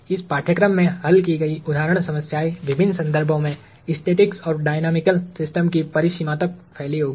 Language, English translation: Hindi, The example problems solved in this course will span the breadth of static and dynamical systems in different contexts